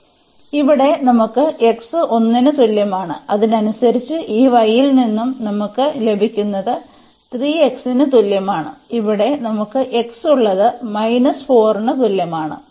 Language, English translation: Malayalam, So, here we have x is equal to 1 and correspondingly why we can get from this y is equal to 3 x and here we have x is equal to minus 4